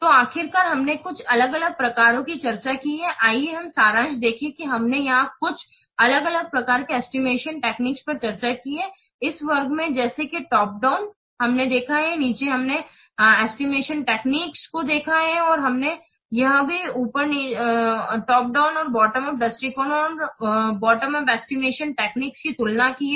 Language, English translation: Hindi, So, finally, we have discussed some different types of, so let's see the summary we have discussed some different types of estimation techniques here in this class, such as top down testing we have seen and the bottom of estimation techniques we have seen